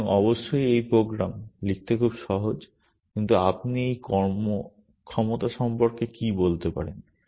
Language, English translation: Bengali, So, this program of course, is very easy to write, but what can you say about this performance